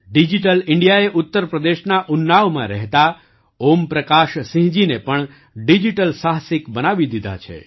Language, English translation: Gujarati, Digital India has also turned Om Prakash Singh ji of Unnao, UP into a digital entrepreneur